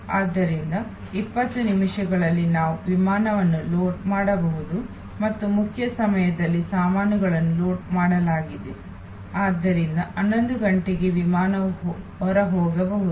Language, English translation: Kannada, So, that within 20 minutes we can load the aircraft and in the main time luggage’s have been loaded, so at 11'o clock the flight can take off